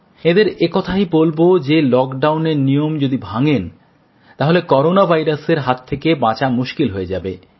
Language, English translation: Bengali, To them I will say that if they don't comply with the lockdown rule, it will be difficult to save ourselves from the scourge of the Corona virus